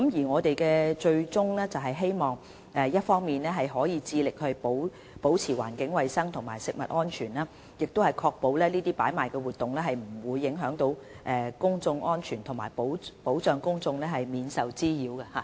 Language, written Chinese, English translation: Cantonese, 我們的最終目標，是希望一方面致力保持環境衞生和食物安全，另一方面確保這些擺賣活動不影響公眾安全，並保障公眾免受滋擾。, Our ultimate goal is to maintain environmental hygiene and food safety on the one hand and to protect public safety and the public from nuisances arising from these hawking activities on the other